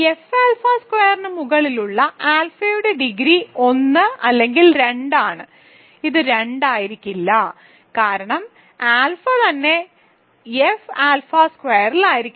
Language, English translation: Malayalam, Hence, the degree of alpha over F alpha square is 1 or 2; it may not be 2 right, because maybe as alpha itself is in F alpha squared